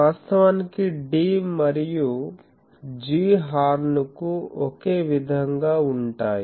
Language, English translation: Telugu, Actually D and G are same for horn